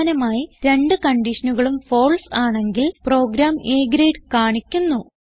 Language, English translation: Malayalam, So Finally, if both the conditions are False, the program displays A Grade